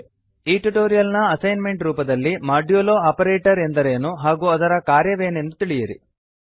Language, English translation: Kannada, As an assignment for this tutorial Find out what is meant by the modulo operator and what it does